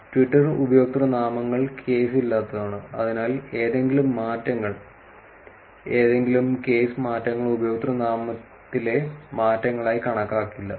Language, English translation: Malayalam, Twitter usernames are case insensitive; therefore, any changes, any case changes were not counted as username changes